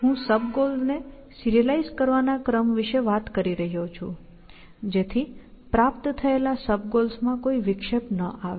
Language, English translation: Gujarati, I am talking about an order of serializing sub goals; so that, there is no disruption of previously achieved sub goals, essentially